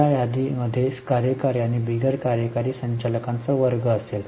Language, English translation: Marathi, In that list, there will be a category of executive and non executive directors